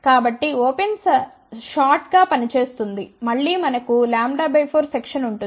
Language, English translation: Telugu, So, open will act as short then again we have a lambda by 4 section